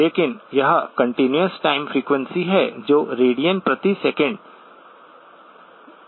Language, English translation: Hindi, But this is the continuous time frequency, which is in radians per second